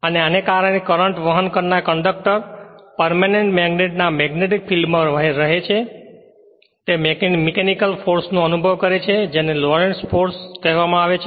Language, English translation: Gujarati, And because the current carrying conductor lies in the magnetic field of the permanent magnet it experiences a mechanical force that is called Lorentz force